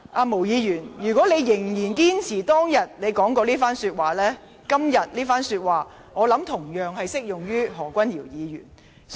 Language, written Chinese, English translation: Cantonese, 毛議員，如果你仍然堅持當天的言論，你當天的言論今天同樣適用於何君堯議員身上。, Ms MO if you still hold fast to your words that day I will say that your words that day are also applicable to Dr Junius HO today